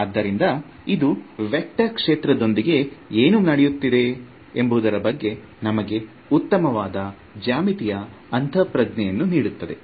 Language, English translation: Kannada, So, this gives us a very nice geometric intuition of what is going on with a vector field